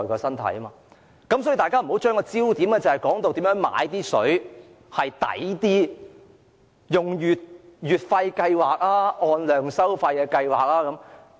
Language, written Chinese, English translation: Cantonese, 因此，我請大家不要把焦點放在如何用較經濟的方式買水，例如應採用月費計劃還是按量收費計劃。, Therefore I urge you not to focus on how to bargain for a good deal when we purchase our water or whether a monthly subscription approach or a quantity - based charging approach is better